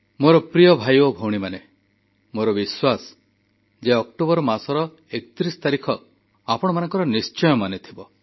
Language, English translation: Odia, My dear brothers and sisters, I am sure all of you remember the significance of the 31st of October